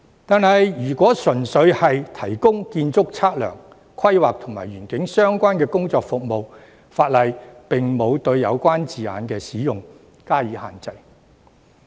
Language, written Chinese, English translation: Cantonese, 可是，如果純粹只是提供建築測量、規劃及園境相關的工作服務，法例則沒有對有關字眼的使用施加限制。, Nonetheless if only the provision of work and services relating to architect surveying planning and landscape is involved the law has not imposed any restriction on the use of the relevant terms